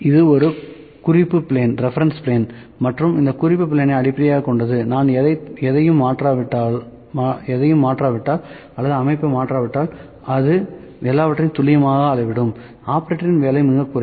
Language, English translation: Tamil, This is a reference plane and based on this reference plane, if we do not change anything or in the setup it will measure all the things accurately so, operator influence is very less